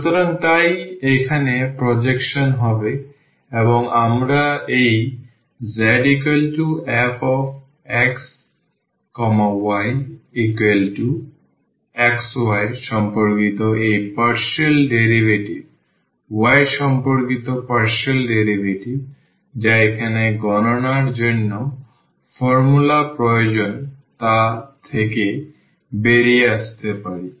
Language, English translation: Bengali, So, that will be the projection here and we can get out of this z is equal to x y this partial derivative with respect to x, partial derivative with respect to y which are required in the formula for the computation here